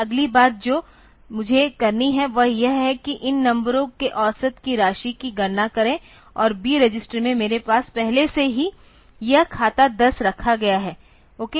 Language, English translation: Hindi, The next thing that I have to do is to compute the sum of the average of these numbers and in the B register I already have a kept this account 10 ok